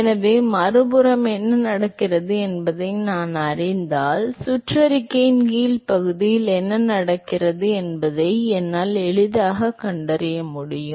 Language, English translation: Tamil, So, if I know what happening on the other side, I can a easily find out what is happening on the lower bottom of the circular